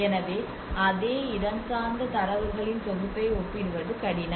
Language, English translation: Tamil, So that is where a difficult to compare the same set of spatial data